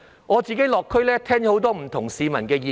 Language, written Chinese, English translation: Cantonese, 我落區時聽到很多市民的不同意見。, During my visits to the local districts I received different views from many residents